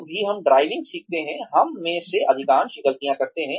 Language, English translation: Hindi, Whenever, we learn driving, most of us make these mistakes